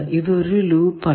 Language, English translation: Malayalam, Is there any loop